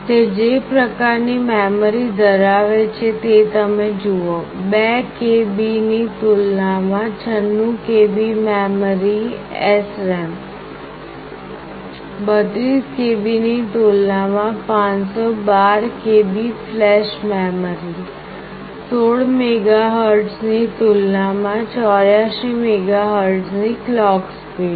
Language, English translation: Gujarati, You see the kind of memory it is having; 96 KB compared to 2 KB, 512 KB of flash compared to 32 KB of flash, clock speed of 84 megahertz compared to clock speed of 16 megahertz